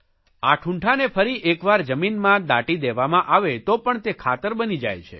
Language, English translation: Gujarati, If these remains are once again buried inside the soil, then it will turn into fertilizers